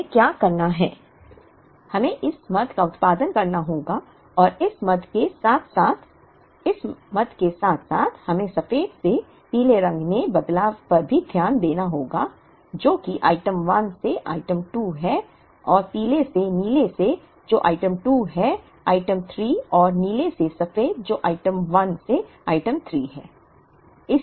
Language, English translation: Hindi, What we have to do is, we have to produce this item plus this item plus this item plus we have to account for the change over from white to yellow, which is item 1 to item 2 and from yellow to blue which is item 2 to item 3 and blue to white which is item 1 from item 3